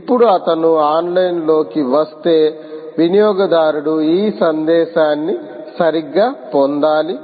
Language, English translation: Telugu, now, if he comes online, the consumer should get this message right